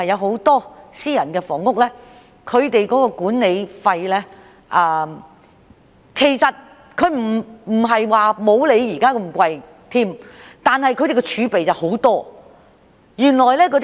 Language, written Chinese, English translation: Cantonese, 很多私人房屋的管理費也不如資助房屋般高昂，但他們的儲備很多。, The management fees for many private housing estates which have a lot of reserves are not as high as those for SSFs